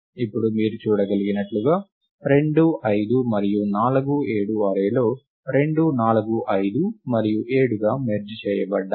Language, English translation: Telugu, Now 2 5 and 4 7 as you can see, is merged it to give the array 2 4 5 and 7